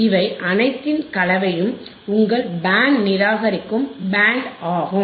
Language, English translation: Tamil, The combination of all this is your band reject band